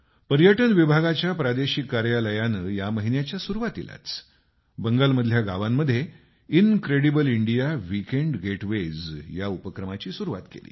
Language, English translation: Marathi, The regional office of the Ministry of Tourism started an 'Incredible India Weekend Getaway' in the villages of Bengal at the beginning of the month